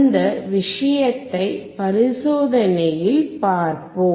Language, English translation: Tamil, We will see this thing in the experiment